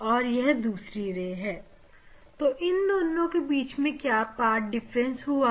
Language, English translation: Hindi, this ray and this ray what are the path difference between this 2 ray